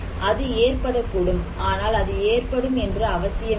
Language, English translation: Tamil, It may cause, not necessarily that it will cause